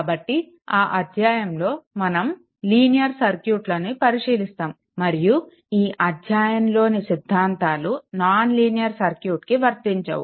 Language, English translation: Telugu, So, in this chapter you concentrate only linear circuit and theorems covered in this chapter are not applicable to non linear circuits so, let me clear it right